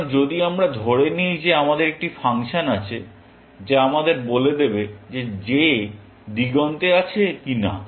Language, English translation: Bengali, So, if we assumed that we have a function, which tells us, weather j is on the horizon or not